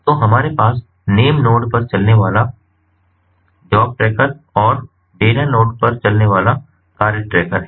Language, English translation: Hindi, so we have the job tracker running on the name node and the task tracker which is running on the data nodes